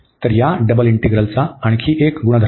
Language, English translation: Marathi, So, another property of this double integral